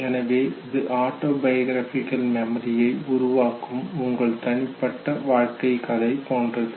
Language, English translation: Tamil, So it is somewhere like your personal life narrative that constitutes the autobiographical memory